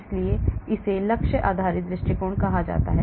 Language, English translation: Hindi, so that is called the target based approach